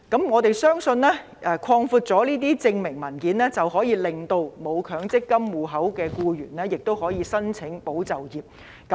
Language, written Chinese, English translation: Cantonese, 我們相信擴大這些證明文件的種類，可以令僱主為沒有強積金戶口的僱員申請"保就業"計劃。, With the expansion of the types of supporting documents we believe that employers will also submit ESS applications for employees who do not have MPF accounts